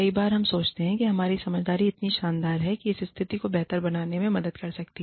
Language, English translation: Hindi, Many times, we think, our sense of humor is so great, that it can help improve the situation